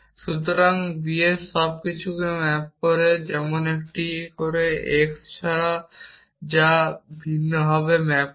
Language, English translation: Bengali, So, b maps everything like a does except for x which it maps differently